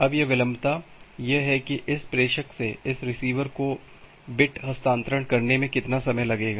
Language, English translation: Hindi, Now this latency is that how much time will it take to transfer a bit from this sender to this receiver